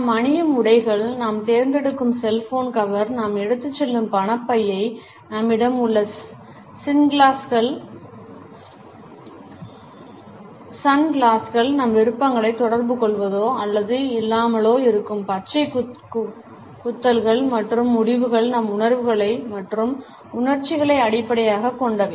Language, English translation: Tamil, The clothes we wear, the cell phone cover we choose, the wallet which we carry, the sunglasses which we have, the tattoos which we may or may not have communicate our choices as well as decisions which in turn are based on our feelings and emotions